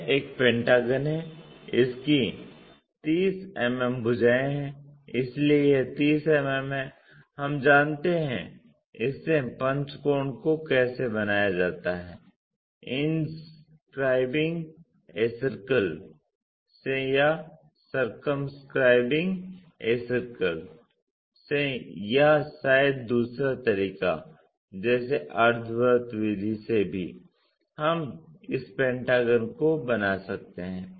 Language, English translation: Hindi, This is the typical pentagon it has 30 mm sides, so this one is 30 mm we know how to construct a pentagon from this inscribing a circle or circumscribing a circle or perhaps the other way like from semi circle method also we can construct this pentagon